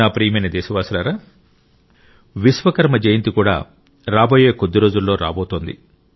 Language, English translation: Telugu, in the next few days 'Vishwakarma Jayanti' will also be celebrated